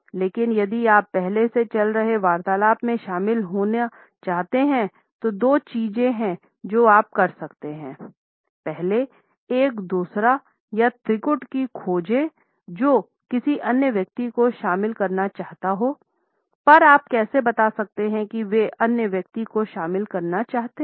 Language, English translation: Hindi, But do not despair; if you want to join a conversation already in progress there are two things you can do; first find a twosome or threesome that looks open to including another person, how can you tell they are open